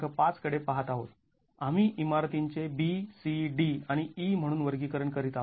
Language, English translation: Marathi, 5 and categorizing buildings as B, C, D, and E